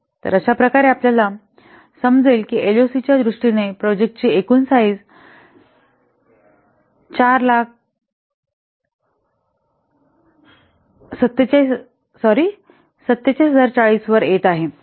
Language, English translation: Marathi, In this way you will get that this total size of the project in terms of LOC is coming to be 47040